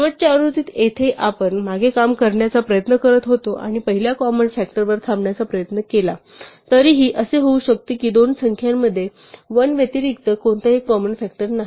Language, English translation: Marathi, In the last version where we were trying to work backwards and stop at the first common factor it could still be that the two numbers have no common factor other than 1